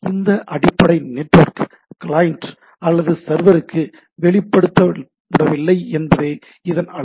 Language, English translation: Tamil, So, the beauty of the things that this, the underlying network is not exposed to the client or the server, right